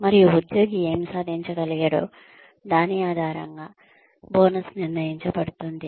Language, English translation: Telugu, And, the bonuses are decided, on the basis of, what the employee has been able to achieve